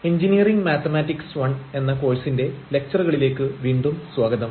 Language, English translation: Malayalam, Welcome back to the lectures on Engineering Mathematics I, and this is lecture number 13